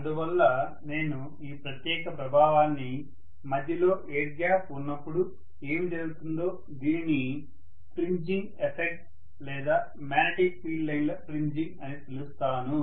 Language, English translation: Telugu, So I should say this particular effect what happens whenever there is an intervening air gap, this is known as fringing effect or fringing of magnetic field lines